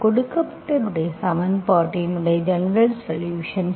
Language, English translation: Tamil, General solution of the given equation